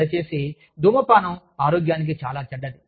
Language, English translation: Telugu, Please, smoking is very bad for health